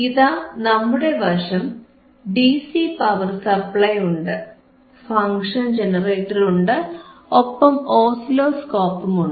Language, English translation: Malayalam, So, we have our DC power supply, then we have function generator, and we have oscilloscope